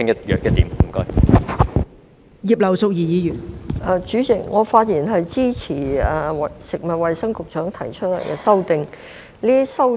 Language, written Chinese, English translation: Cantonese, 代理主席，我發言支持食物及衞生局局長提出的修正案。, Deputy Chairman I rise to speak in support of the amendments proposed by the Secretary for Food and Health